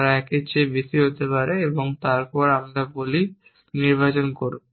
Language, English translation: Bengali, They may be more than 1 and then again we say choose